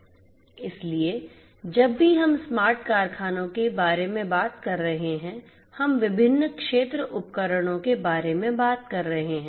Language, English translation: Hindi, So, whenever we are talking about smart factories we are talking about different field devices